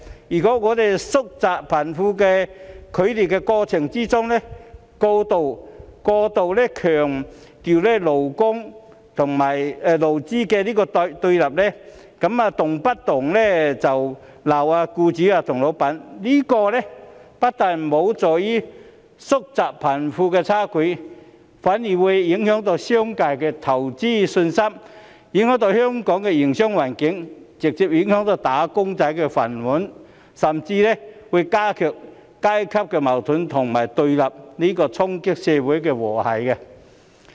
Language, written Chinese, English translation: Cantonese, 如果我們在縮窄貧富差距的過程中，過度強調勞資雙方的對立，動不動就斥責僱主和老闆，這樣不但無助縮窄貧富差距，反而會影響商界的投資信心，影響香港的營商環境，直接影響"打工仔"的飯碗，甚至會加劇階級矛盾和對立，衝擊社會和諧。, If we overemphasize the conflict between employers and employees and always point the finger at employers or bosses in our efforts to narrow the gap between the rich and the poor this will do no good to the improvement of the situation; conversely it will only affect the investment confidence of the business sector and the business environment of Hong Kong which will directly affect the livelihood of wage earners and even intensify class conflicts and friction and thereby damaging social harmony